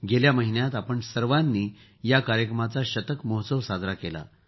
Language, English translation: Marathi, Last month all of us have celebrated the special century